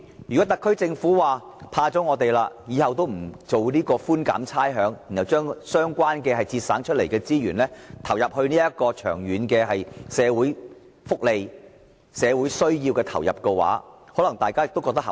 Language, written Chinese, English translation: Cantonese, 如果特區政府因為怕了我們，以後不再提出寬減差餉的措施，並把所節省的資源投放在長遠的社會福利和社會需要，大家可能認為更為合理。, If the SAR Government for fear of us decides not to implement rates concession measure in the future and allocates the resources so saved to address long - term social welfare issues and meet social needs we may think this approach is more reasonable